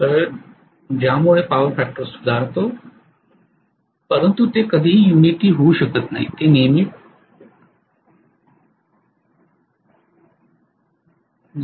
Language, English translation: Marathi, So because of which power factor improves but it can never become unity it will always become may be 0